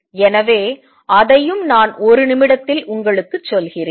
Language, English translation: Tamil, So, let me just tell you that also in a minute